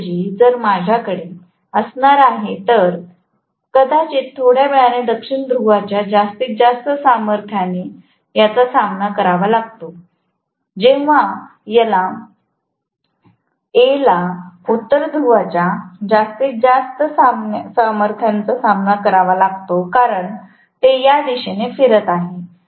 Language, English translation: Marathi, Rather than that, if I am going to have, maybe this is facing the maximum strength of South Pole a little later than, when A faces the maximum strength of North Pole because it is going to rotate in this direction